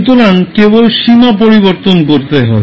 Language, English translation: Bengali, So, you can simply change the limit